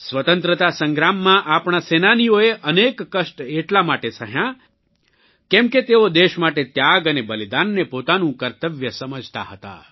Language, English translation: Gujarati, In the struggle for freedom, our fighters underwent innumerable hardships since they considered sacrifice for the sake of the country as their duty